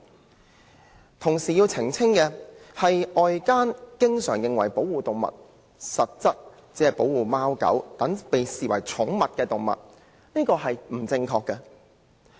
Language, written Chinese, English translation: Cantonese, 我同時要澄清的是，外間經常以為保護動物的對象實質上只包括貓、狗等寵物，這是不正確的。, Meanwhile I have to clarify that it is incorrect for outsiders to often think that the animals to be protected essentially include only such pets as cats and dogs